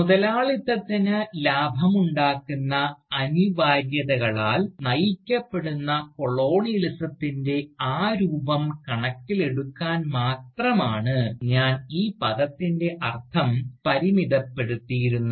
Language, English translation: Malayalam, And, I had limited the meaning of the term, to only take into account, that form of Colonialism, which is driven by the profit making imperatives of Capitalism